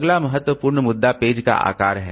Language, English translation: Hindi, Next important issue is the page size